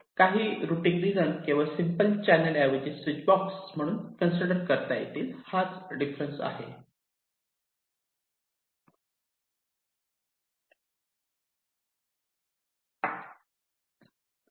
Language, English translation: Marathi, but here some of the routing regions may be considered to be as switchboxes and not simple channels